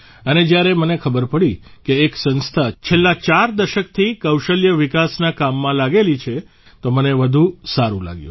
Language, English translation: Gujarati, And when I came to know that an organization has been engaged in skill development work for the last four decades, I felt even better